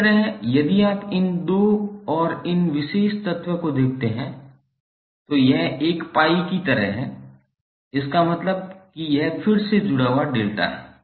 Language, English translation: Hindi, Similarly if you see these 2 and this particular element, it is like a pi, means this is again a delta connected section